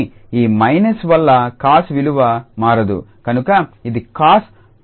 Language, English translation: Telugu, But cos will not read this minus so it is cos minus x is equal to cos x